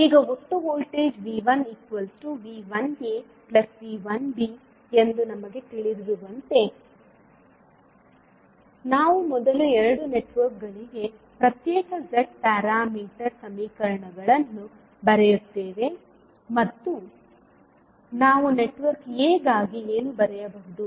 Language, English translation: Kannada, Now, as we know that the total voltage V 1 is nothing but V 1a plus V 1b, we will first write the individual Z parameter equations for both of the networks for network A what we can write